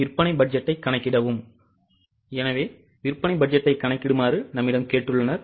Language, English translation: Tamil, They have also asked us to calculate the sales budget